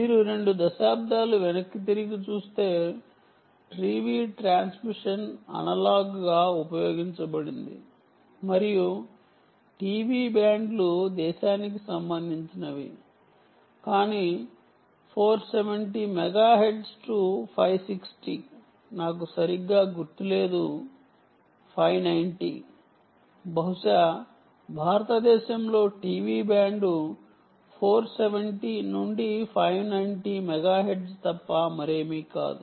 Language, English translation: Telugu, ok, see, if you look back, lets say two decades back, t v transmission was analog, used to be analog and it, ok, the t v bands are country specific, but the four, seventy megahertz to, i think, five, sixty, i dont recall correctly, no, five, ninety, i think here four seventy to five ninety, ah megahertz, ah, use this use, the is nothing but the t v band in india